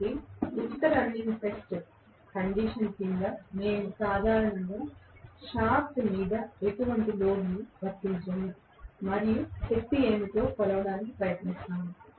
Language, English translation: Telugu, So, under free running test condition we normally apply no load on the shaft and try to measure what is the power